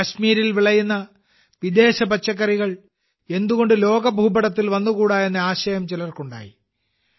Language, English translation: Malayalam, Some people got the idea… why not bring the exotic vegetables grown in Kashmir onto the world map